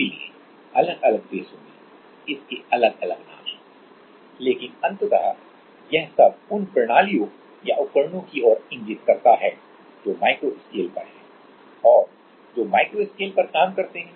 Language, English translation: Hindi, So, it has different names in different countries, but ultimately this all point points to the systems or devises which are in micro scale and which operate in micro scale range